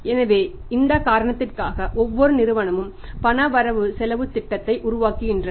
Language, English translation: Tamil, So, for this reason every firm makes the cash budget